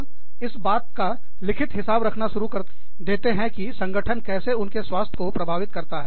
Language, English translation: Hindi, People will start maintaining, logs of about, how the organization, has affected their health